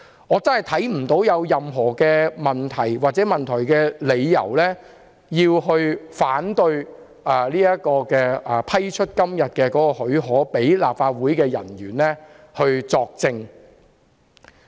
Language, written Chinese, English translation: Cantonese, 我真的看不見有任何問題或理由，令議員反對批出讓立法會人員作證的許可。, I really do not see any question or reason which can justify Members opposition to the granting of leave for officers of the Legislative Council to give evidence